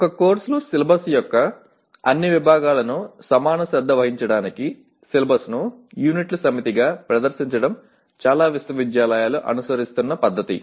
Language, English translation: Telugu, It is the practice of many universities to present the syllabus of a course as a set of units to facilitate equal attention to all sections of the syllabus